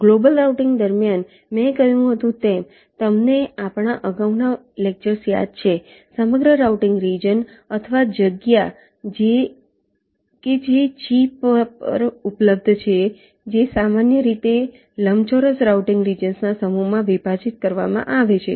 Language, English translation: Gujarati, during global routing, as i said you recall our earlier lectures the entire routing region, or space that is available on the chip, that is typically partitioned into a set of rectangular routing regions